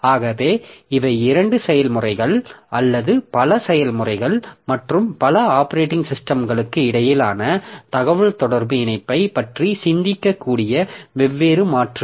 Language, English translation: Tamil, So these are different alternatives that we can think about a communication link between two processes or multiple number of processes and many operating systems they will try to answer these questions in different ways